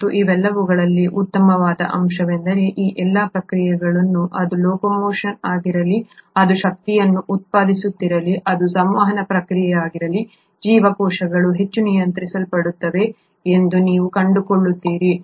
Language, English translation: Kannada, And the best part among all these is that all these processes, whether it is of locomotion, whether it is of generating energy, it is a process of communicating, you find that the cells are highly regulated